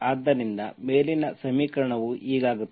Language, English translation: Kannada, So this is what the above equation becomes